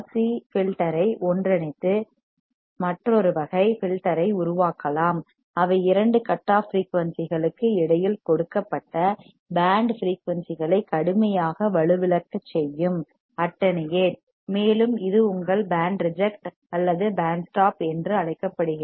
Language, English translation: Tamil, We can also combine these RC filter to form another type of filter that can block, or severely attenuate a given band frequencies between two cutoff frequencies, and this is called your band reject or band stop